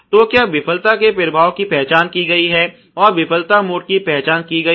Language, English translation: Hindi, So, was the effect of the failure has been identified and the failure mode has been identified ok